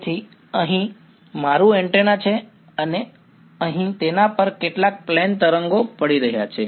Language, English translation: Gujarati, So, here is my antenna over here and there is some plane wave falling on it over here